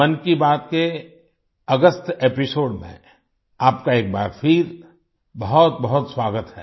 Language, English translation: Hindi, A very warm welcome to you once again in the August episode of Mann Ki Baat